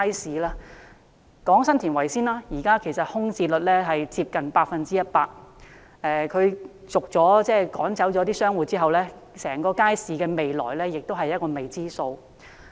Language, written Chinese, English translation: Cantonese, 先談談前者，現時新田圍街市的空置率接近 100%， 商戶被趕走之後，整個街市的未來是未知數。, Let us talk about the former first . The vacancy rate of the Sun Tin Wai Estate market is now close to 100 % . After its commercial tenants have been forced to leave the entire market faces an uncertain future